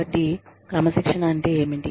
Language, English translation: Telugu, So, what does discipline mean